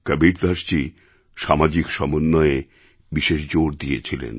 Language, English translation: Bengali, Kabir Das ji laid great emphasis on social cohesion